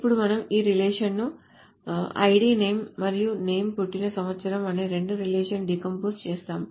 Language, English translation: Telugu, So now suppose we decompose this relation into two relations which is ID name and name year of birth